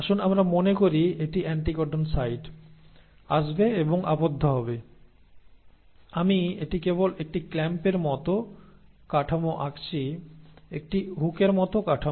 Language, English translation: Bengali, So let us say this is the anticodon site, will come and bind, so I am just drawing this like a clamp like structure, just a hook like structure